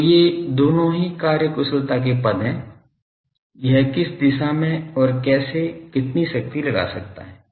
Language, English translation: Hindi, So, both these are terms efficiency one is how directed, it is and how much power it can put